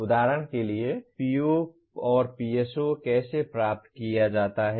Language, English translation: Hindi, For example how is the PO/PSO attained